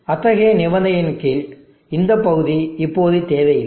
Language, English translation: Tamil, Under such condition, this portion is now not needed